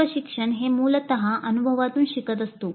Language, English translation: Marathi, All learning is essentially learning from experience